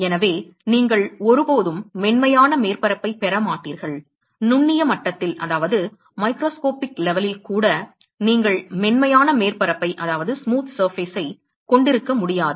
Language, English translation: Tamil, So, you will never get a smooth surface, even at the microscopic level you cannot have a smooth surface